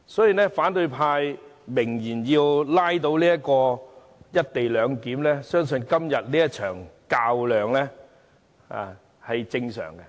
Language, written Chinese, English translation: Cantonese, 鑒於反對派明言要拉倒"一地兩檢"，今天這場較量是正常的。, As opposition Members have made it clear that they will bog down the co - location arrangement the battle today is nothing surprising